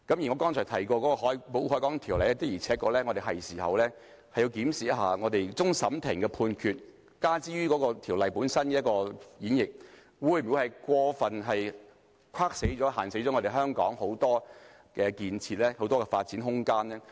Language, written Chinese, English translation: Cantonese, 剛才提到的《保護海港條例》，的確是時候檢視一下，終審法院的判決加諸該條例的束縛，會否過分限死香港的建設和發展空間？, It is high time to review the Protection of the Harbour Ordinance that we have just mentioned . Will the restraints imposed by the judgment of the Court of Final Appeal on the Ordinance restrict the construction and development of Hong Kong?